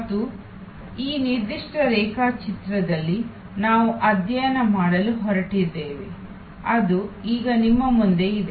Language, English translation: Kannada, And this is what we are going to study in this particular diagram, which is now in front of you